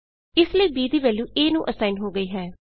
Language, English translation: Punjabi, So value of b is assigned to a